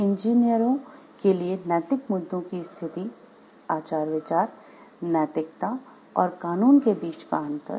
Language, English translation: Hindi, Situations of ethical issues for engineers, understanding the distinction between ethics morals and laws